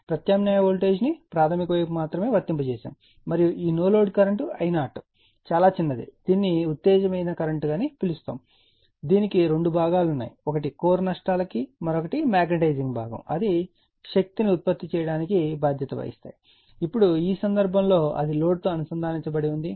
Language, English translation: Telugu, And only prime only you are what you call that only primary side and alternating voltage are applied and this no load current yeah that is your what you call the current I 0 is very small that is called your exciting current it has two component, one is responsible for that your core losses another is for magnetizing component that is responsible for producing powers